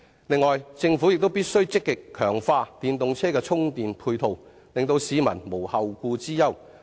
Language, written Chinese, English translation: Cantonese, 此外，政府必須積極強化電動車充電配套，令市民無後顧之憂。, Next the Government must actively enhance the charging facilities for EVs so as to dispel peoples concern